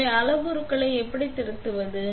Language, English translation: Tamil, So, how do we edit the parameters